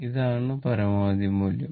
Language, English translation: Malayalam, This is the maximum value